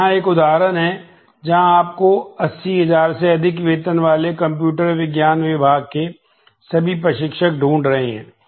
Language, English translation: Hindi, So, here is an example, where you are finding all instructors in computer science with salary greater than 80000